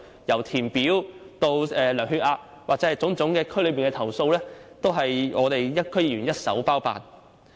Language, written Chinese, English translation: Cantonese, 由填表至量血壓，甚至對區內的種種投訴，均由我們區議員一手包辦。, We help them to fill in application forms take blood pressures and to deal with their complaints about various issues in the districts . We DC members have to deal with all of this